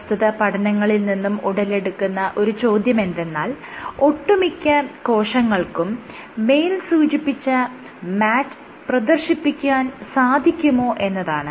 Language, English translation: Malayalam, So, the question which arose from all of these studies are all types of cells capable of exhibiting MAT